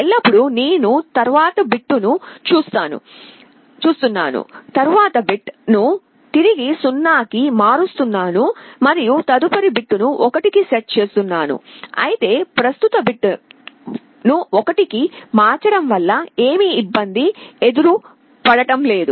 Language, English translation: Telugu, Always I am looking at the next bit, the immediate bit I am changing it back to 0 and setting the next bit to 1, or I am not disturbing the present bit just changing the next bit to 1